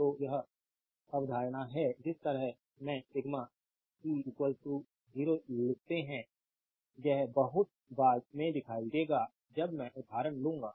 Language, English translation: Hindi, So, this is the concept that way we write sigma p is equal to 0; this one we will see much later when I will take the example as it is as